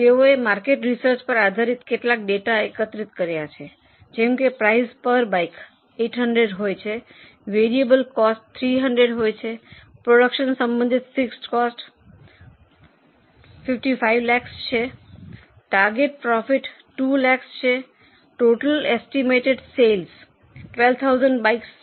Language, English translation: Gujarati, They have collected some data based on market research like the likely price per bike is 800, variable cost is 300, fixed costs related to production are 55 lakhs, target profit is 2 lakhs, total estimated sales are 12,000 bikes